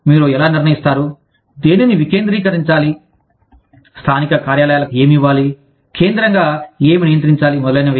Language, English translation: Telugu, How do you decide, what to decentralize, what to pass on to the local offices, what to control centrally, etcetera